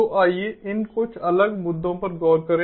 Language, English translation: Hindi, so let us look at some of these different issues